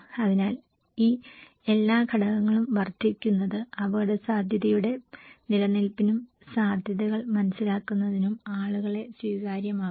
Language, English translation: Malayalam, So, these all factors also increases can make it people acceptable to the existence of the risk and understanding the probabilities